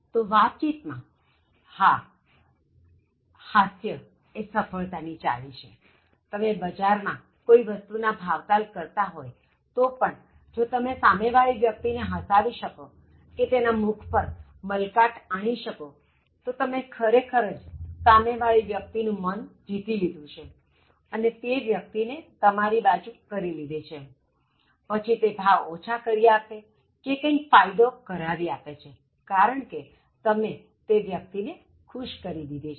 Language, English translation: Gujarati, So, that, that is a key to success in communication, mostly whether even if you are bargaining for something in the market, if you can make the other person laugh or if you can make the other person smile, so you, you are you are actually winning the heart of the other person and you are taking the person to your side and then you are making the person reduce the price or do some favor because you have actually made the person happy